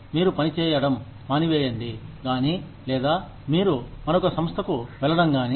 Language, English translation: Telugu, Either, you stop working, or, you move on to another organization